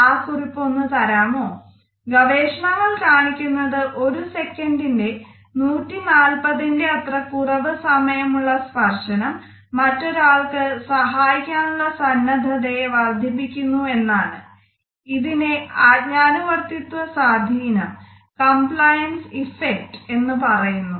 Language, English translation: Malayalam, Can you get me that report; research shows that touch as short as 140 of a second will increase that other person’s willingness to help it is called the compliance effect